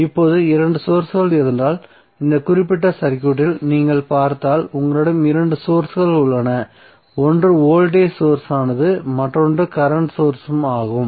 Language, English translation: Tamil, Now if there are 2 sources voltage sources if you see in this particular circuit you have 2 sources one is voltage source other is current source